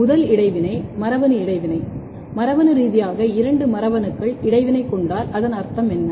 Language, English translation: Tamil, The first interaction we can call is the genetic interaction if genetically two mutants or two genes are interacting, what does it mean